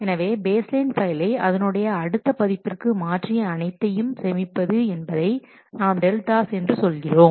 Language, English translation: Tamil, The changes needed to transform each baseline file to the next version are stored and are called delta